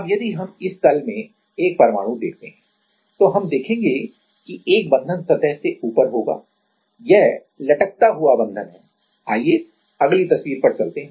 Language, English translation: Hindi, Now, if we see one atom in this plane then, we will see that one bond will be above the surface it is the dangling bond let us go to the next picture